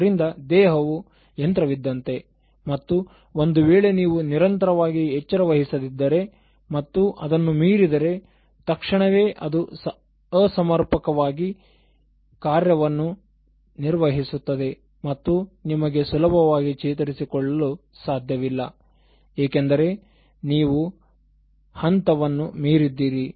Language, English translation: Kannada, So, the body is also like a machine and if you don’t take care of it regularly, and then if you push it too much beyond the point, so suddenly it will start malfunctioning and you will not be able to recover it so easily because you had actually exhausted it beyond a point